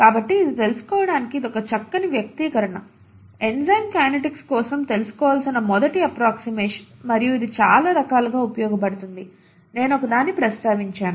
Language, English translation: Telugu, So this is a nice expression to know, the first approximation to know for enzyme kinetics, and it is useful in many different ways, I just mentioned one